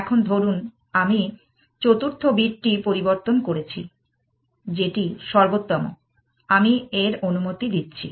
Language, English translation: Bengali, Now, supposing I have change the fourth bit that is the